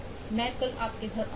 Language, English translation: Hindi, Ill go to your home tomorrow